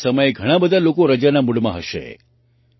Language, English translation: Gujarati, At this time many people are also in the mood for holidays